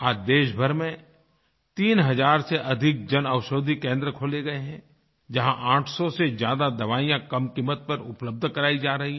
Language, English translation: Hindi, Presently, more than three thousand Jan Aushadhi Kendras have been opened across the country and more than eight hundred medicines are being made available there at an affordable price